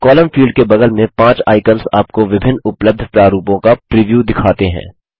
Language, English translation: Hindi, The five icons besides the column field show you the preview of the various formats available